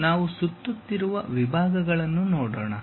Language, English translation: Kannada, Now, let us look at revolved sections